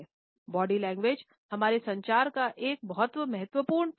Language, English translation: Hindi, Body language is a very significant aspect of our communication